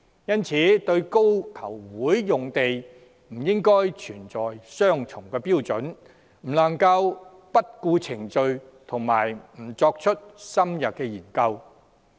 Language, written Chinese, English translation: Cantonese, 因此，對高球場用地不應存在雙重標準，不能不顧程序及不作深入研究。, In this connection a double standard where the proper procedures are ignored and an in - depth study denied should not be applied on FGC